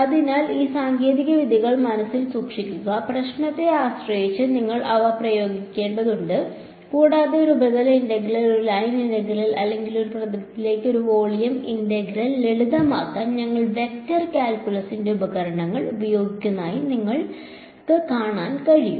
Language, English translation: Malayalam, So, keep these techniques in mind you will have to apply them depending on the problem at hand and these like you can see we are just using the tools of vector calculus to simplify a surface integral into a line integral or a volume integral into a surface integral that is the basic idea over here ok